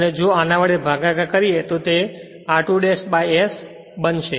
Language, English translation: Gujarati, And if you divide by this one it will be r 2 dash by s